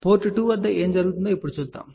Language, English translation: Telugu, Let us see now, what is happening at port 2